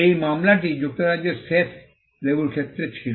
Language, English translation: Bengali, This case was in the United Kingdom the Jeff lemon case